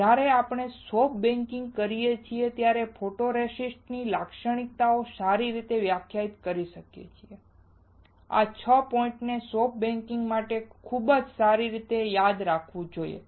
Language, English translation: Gujarati, The characteristics of photoresist can be well defined when we do the soft baking, These 6 points has to be remembered very well for soft baking